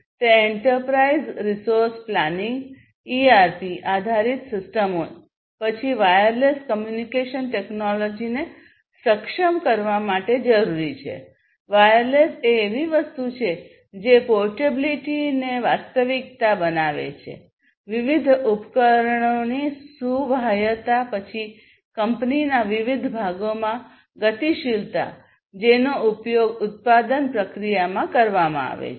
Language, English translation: Gujarati, It is required to enable Enterprise Resource Planning ERP based systems, then wireless communication technology which is sort of like you know why wireless is; wireless is something that makes portability a reality, portability of different equipments, then mobility bit across different between different parts of the company between different mobility of different equipments that are being used in the manufacturing process and so on